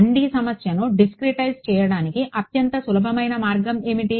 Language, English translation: Telugu, What is the most simplest way of discretizing a 1D problem